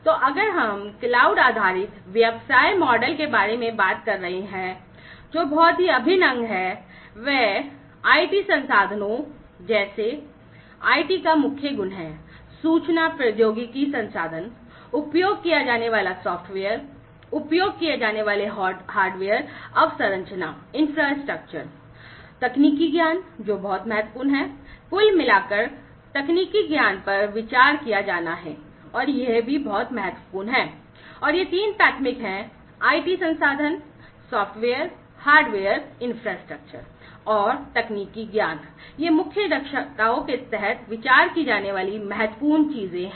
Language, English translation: Hindi, So, if we are talking about the cloud based business model, what is very integral is the core competencies like the IT resources IT means, Information Technology resources, the software that is used, the hardware infrastructure that is used